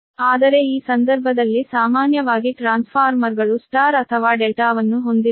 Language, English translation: Kannada, but in this case generally, generally transformer, you have star or delta, right